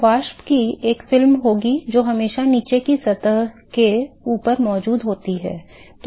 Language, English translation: Hindi, So, there will be a film of vapor which is always present on top of bottom surface